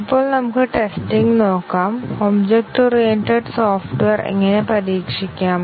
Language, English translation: Malayalam, Now, let us look at testing, how do we go about testing object oriented software